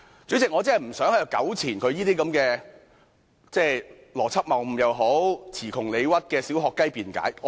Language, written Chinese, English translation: Cantonese, 主席，我真的不想在此糾纏於何議員這些邏輯謬誤或詞窮理屈的"小學雞"辯解。, President I really do not want to keep on commenting such childish arguments put forth by Dr HO which are nothing but logical fallacies that can hardly justify themselves